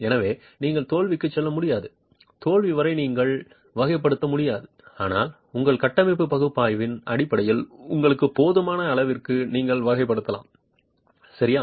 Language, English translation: Tamil, So, you can't go to failure, you can't characterize still failure, but you can characterize to an extent which is sufficient for you in terms of your structural analysis